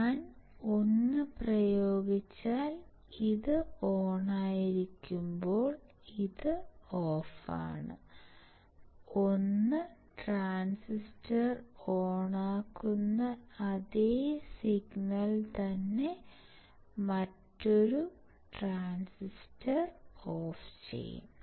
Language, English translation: Malayalam, If I apply 1 this is off while this is on, see the same signal which turns on 1 transistor, will turn off the another transistor